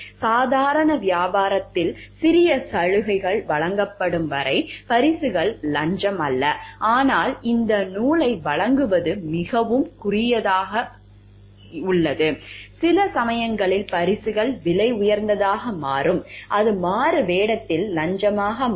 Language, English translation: Tamil, Gifts are not bribes, as long as there are small gratuities offered in normal conduct of business, but offer this thread is a very narrow lying over here and sometimes gifts are become, so like costly that it becomes bribes in disguise